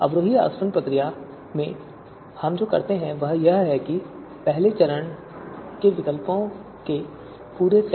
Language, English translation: Hindi, So what we do in descending distillation procedure is that in the first step we start with the complete set of alternatives, A